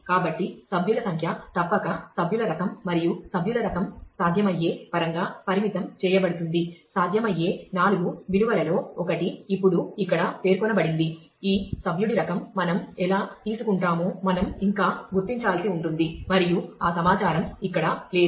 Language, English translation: Telugu, So, member number must determine the member type and the member type will be constrained in terms of possible 4, 1 of the four possible values are stated here now of course, we will still have to figure out is to where do we get this member type from and so, on and that information is not present here